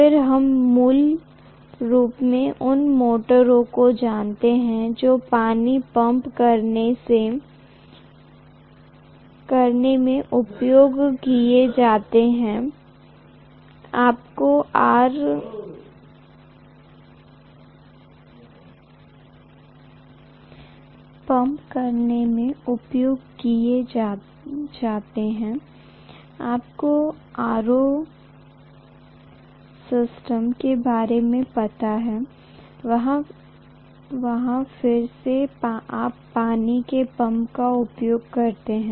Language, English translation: Hindi, Then we have basically you know the motors which are used in pumping water, you have you know in RO system, again you pump water